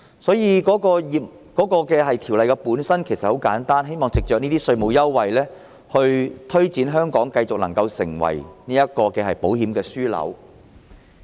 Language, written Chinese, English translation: Cantonese, 所以，我認為《條例草案》的目的很簡單，就是希望藉着這些稅務優惠，推動香港繼續成為保險業樞紐。, Thus I think the objective of the Bill is simply to promote the continuous development of Hong Kong as an insurance hub through these tax concessions